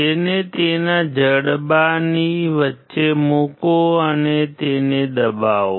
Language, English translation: Gujarati, Place it in between its jaw and just press it